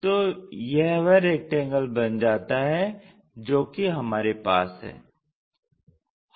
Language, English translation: Hindi, Maybe this is the rectangle what we have